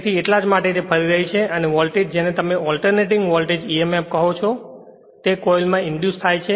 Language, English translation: Gujarati, So, this why it is revolving and a voltage will be what you call an alternating voltage emf will be induced in the coil right